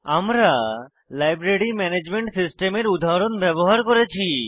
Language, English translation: Bengali, We have used the example of a Library Management system